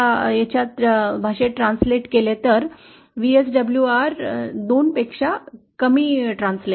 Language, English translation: Marathi, In terms of VSWR that translates to VSWR lesser than 2